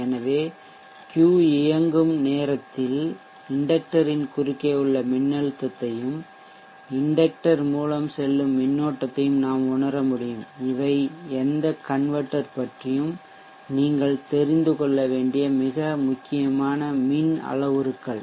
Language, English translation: Tamil, So during the time and Q is on we can observe the voltage across the inductor and the current through the inductor these are critical electrical parameters that you need to know about any converter